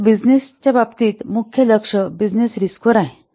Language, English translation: Marathi, So in business case, the main focus is in business risk